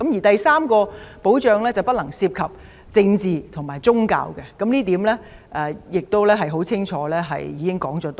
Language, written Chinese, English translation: Cantonese, 第三項保障是不能涉及政治和宗教，政府已多次清楚指出這點。, The third safeguard is that politics and religion cannot be involved . The Government has clearly highlighted this on a number of occasions